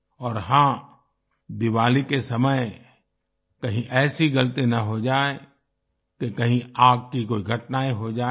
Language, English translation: Hindi, And yes, at the time of Diwali, no such mistake should be made that any incidents of fire may occur